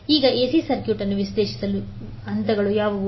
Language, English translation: Kannada, Now what are the steps to analyze the AC circuit